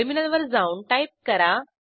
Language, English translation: Marathi, Switch to the Terminal